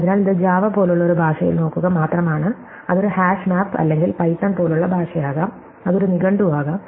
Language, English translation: Malayalam, So, it is just the look up in a language like java, it could be a hash map or a language like python, it could be a dictionary